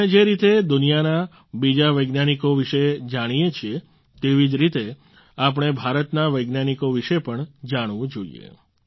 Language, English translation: Gujarati, The way we know of other scientists of the world, in the same way we should also know about the scientists of India